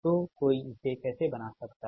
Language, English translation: Hindi, so this is how one can this